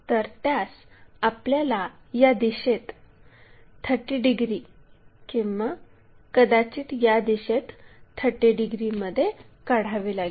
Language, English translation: Marathi, So, what we have to do is either in this direction 30 degrees or perhaps in this in this way 30 degrees we have to align